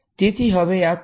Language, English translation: Gujarati, So, this is now which way